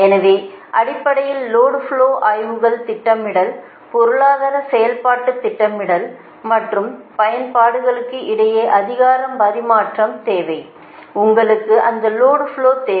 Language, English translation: Tamil, so, basically, load flow studies are necessary that planning, economic operation, scheduling and exchange of power between utilities, your, you need that load flow thing, right